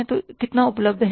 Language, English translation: Hindi, How much cash is available